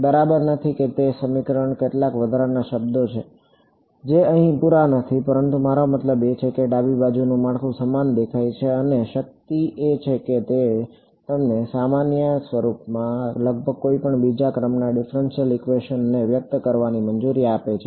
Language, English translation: Gujarati, Not exactly there is there are some extra terms in that equation which are not over here, but I mean the left hand side structure looks similar and the power of that is it allows you to express almost any second order differential equation in this generic form ok